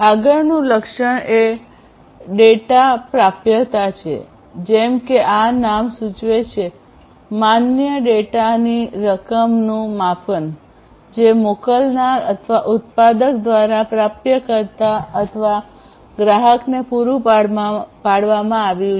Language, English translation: Gujarati, The next attribute is the data availability and availability as this name suggests it is a measurement of the amount of valid data provided by the by the sender or the producer to the receiver or the consumer